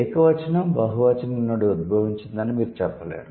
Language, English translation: Telugu, You cannot say the singular has been derived from plural, not really